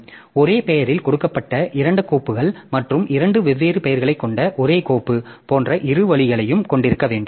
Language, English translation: Tamil, So, we have to have both way like two files given the same name and same file given two different names